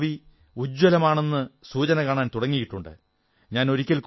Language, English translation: Malayalam, The signs that the future of football is very bright have started to appear